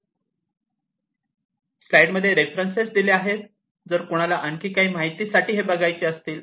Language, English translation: Marathi, And so these references, you know, if somebody wants to go through in further more detail